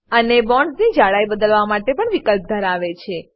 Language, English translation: Gujarati, And also has options to change the thickness of the bonds